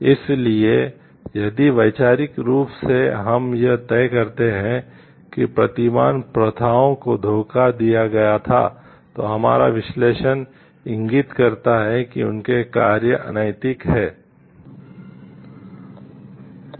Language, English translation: Hindi, So, if conceptually we decide that paradigms practices were deceptive, then our analysis indicates that their actions were unethical